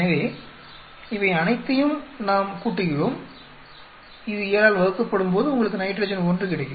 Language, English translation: Tamil, So, we add up all these, divide by 7 that will give you nitrogen 1